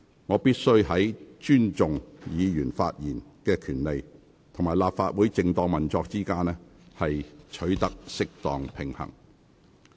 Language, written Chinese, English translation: Cantonese, 我必須在尊重議員發言權利與立法會正當運作之間，取得適當平衡。, I must strike a right balance between respecting Members right to speak and the normal operation of the Legislative Council